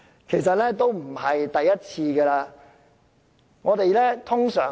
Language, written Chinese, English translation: Cantonese, 其實已不是第一次這樣做。, Actually this is not the first time for the Government to do so